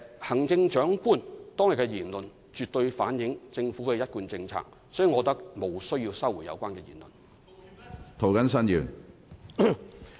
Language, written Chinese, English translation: Cantonese, 行政長官當天的言論絕對反映政府的一貫政策，所以我認為無須收回有關言論。, The remarks made by the Chief Executive on that day had fully reflected the consistent policies of the Government so I think they did not need to be retracted